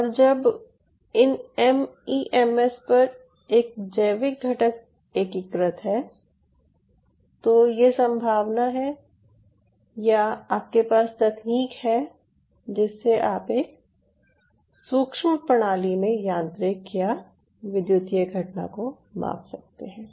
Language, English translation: Hindi, and when on these mems you have a biological component integrate to it, you have the possibility or you have the technical know how, or you have a scope to measure any kind of mechanical as well as electrical phenomena in a micro system